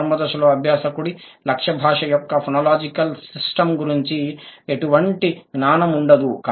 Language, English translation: Telugu, At the initial stage, the learner doesn't have any knowledge of the phonological system of the target language